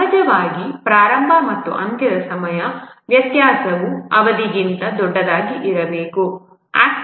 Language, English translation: Kannada, Of course, the start and end time difference must be larger than the duration